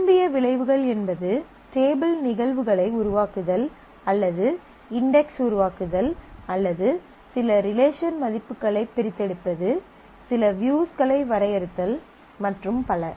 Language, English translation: Tamil, Either that is creating table instances or creating index or extracting certain relation values, defining some views and so on